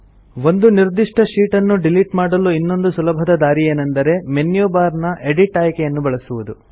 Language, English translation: Kannada, Another way of deleting a particular sheet is by using the Edit option in the menu bar